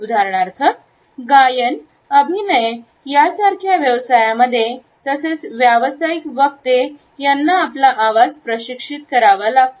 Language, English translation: Marathi, For example in professions like singing acting as well as for professional speakers we find that the voice has to be trained